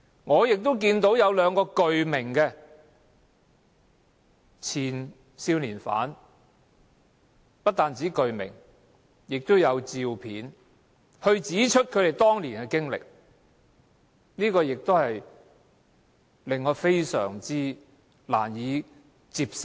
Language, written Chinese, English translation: Cantonese, 我亦得知有兩位前少年罪犯，不單具名還提供照片，指出他們當年的被虐經歷，亦令我感到非常難受。, I also know that two former juvenile offenders had not only provided their names but also photos when giving an account of the abuse they suffered while they were in custody years ago . I am much saddened to hear their stories